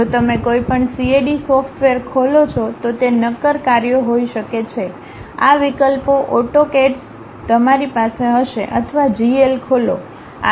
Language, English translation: Gujarati, If you open any CAD software may be solid works, AutoCAD these options you will be have or Open GL